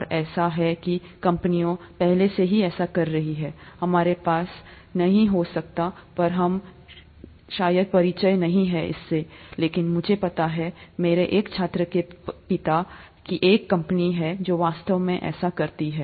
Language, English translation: Hindi, And it so happens that there are companies doing this already, we may not have, we may not be very familiar with it, but I know of one of my students’ fathers having a company which does exactly this, and so on and so forth